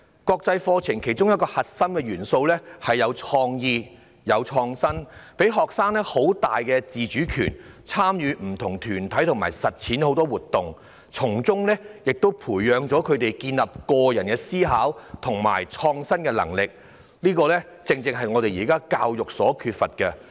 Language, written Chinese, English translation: Cantonese, 國際課程其中一個核心元素是有創意和創新，給予學生很大的自主權，參與不同團體及實踐活動，從中培養他們建立個人的思考和創新的能力，這正正是現時教育所缺乏的。, A core component of an international curriculum is to foster creativity and innovation by giving students a higher degree of autonomy in participating in different group and hands - on activities so as to cultivate students ability to think independently and innovate on their own which is precisely what is missing in our education at present